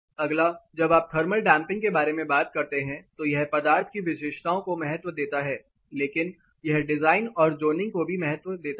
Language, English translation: Hindi, Next when you talk about thermal damping it has importance for material property, but it also gives importance for design and zoning